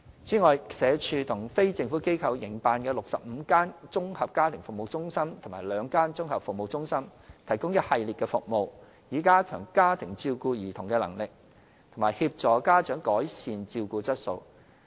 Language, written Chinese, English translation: Cantonese, 此外，社署和非政府機構營辦的65間綜合家庭服務中心及兩間綜合服務中心，提供一系列的服務，以加強家庭照顧兒童的能力，並協助家長改善照顧質素。, Moreover the 65 Integrated Family Service Centres and two Integrated Services Centres operated by SWD or NGOs provide a spectrum of services to strengthen families capability of taking care of children and to help parents to improve their care quality